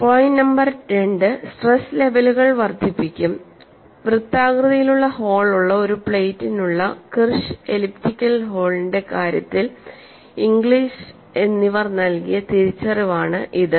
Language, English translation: Malayalam, Point number two is the stress levels will increase was recognition by the solution of Kirsch for a plate with a circular hole and Inglis for the case of an elliptical hole